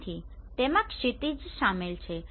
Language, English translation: Gujarati, So it includes horizon